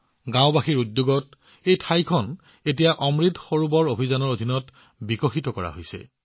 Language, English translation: Assamese, On the initiative of the villagers, this place is now being developed under the Amrit Sarovar campaign